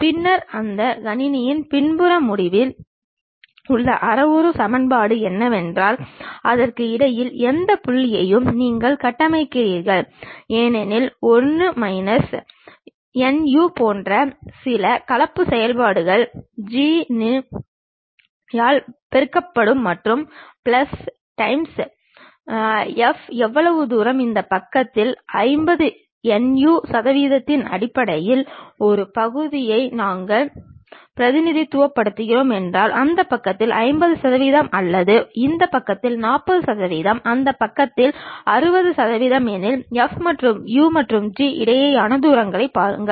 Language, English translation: Tamil, Then the parametric equation at back end of that computer what it does is you construct any point in between that as some blending functions like 1 minus nu multiplied by G of u plus nu times F of u is based on how much distance you would to really look at something like the distance between F of u and G of u if we are representing a fraction in terms of nu 50 percent on this side remaining 50 percent on that side or 40 percent on this side 60 percent on that side